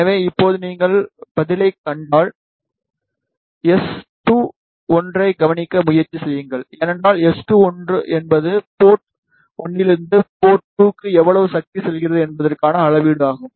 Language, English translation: Tamil, So, now if you see the response, just try to observe S2, 1, because S2, 1 is the measure of how much power is going from port 1 to port 2